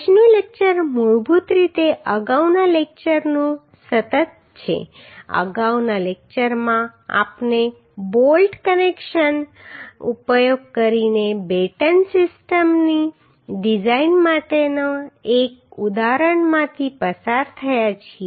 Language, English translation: Gujarati, Today’s lecture is basically the continuous of previous lectur e in previous lecture we have gone through one example for design of Batten system using bolt connections